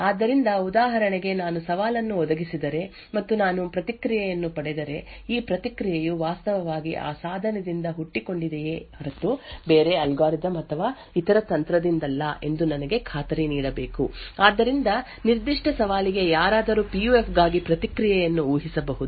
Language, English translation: Kannada, So, for example, if I provide a challenge and I obtain a response I should be guaranteed that this response is actually originated from that device and not from some other algorithm or some other technique, So, someone could actually predict the response for the PUF for that particular challenge